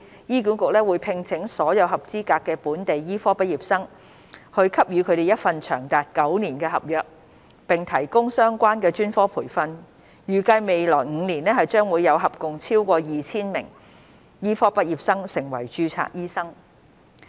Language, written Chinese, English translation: Cantonese, 醫管局會聘請所有合資格的本地醫科畢業生，給予他們一份長達9年的合約，並提供相關專科培訓，預計未來5年將會有合共超過 2,000 名醫科畢業生成為註冊醫生。, HA will recruit all qualified local medical graduates and offer them a nine - year contract with relevant specialist training . It is expected that in the next five years a total of over 2 000 medical graduates will become registered doctors